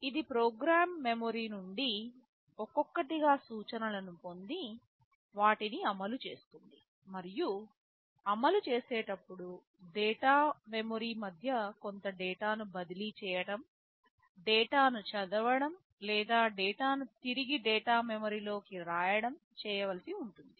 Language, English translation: Telugu, It fetches instructions from the program memory one by one, executes them, and during execution it may require to transfer some data between the data memory, either reading a data or writing the data back into the data memory